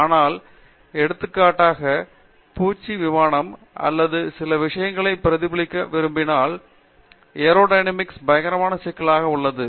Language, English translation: Tamil, But, if you now look at like it is aerodynamics like for example, if you want to mimic insect flight or some such thing, the aerodynamics is horrendously complicated